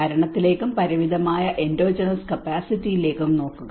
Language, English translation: Malayalam, Also come into the governance and limited endogenous capacities